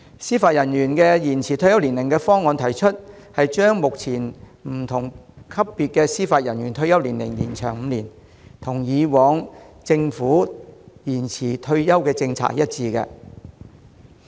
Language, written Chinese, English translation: Cantonese, 司法人員延展退休年齡的方案，將不同級別司法人員的退休年齡延長5年，與以往政府的延展退休年齡政策一致。, The proposal on extension of retirement age of Judicial Officers extends the retirement age of Judicial Officers at different levels by five years in line with the previous government policy on extending the retirement age